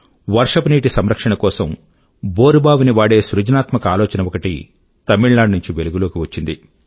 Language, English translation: Telugu, Whereas, a very innovative idea of harnessing a borewell for rainwater harvesting sprung up from Tamilnadu